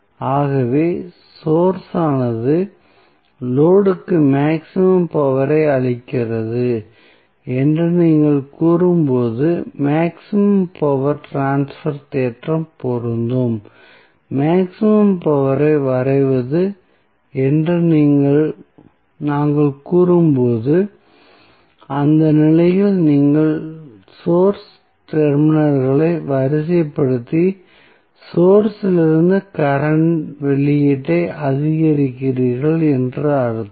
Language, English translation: Tamil, So, maximum power transfer theorem is applicable when you say that source is delivering maximum power to the load, when we say drawing maximum power it means that at that condition, you are simply sorting the source terminals and maximizing the current output from the source